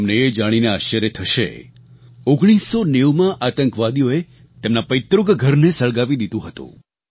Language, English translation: Gujarati, You will be surprised to know that terrorists had set his ancestral home on fire in 1990